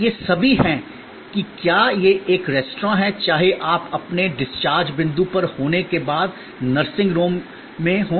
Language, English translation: Hindi, These are all whether it is an restaurant, whether it is in a nursing home after you are at your discharge point